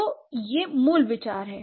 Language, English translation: Hindi, So, this is the basic idea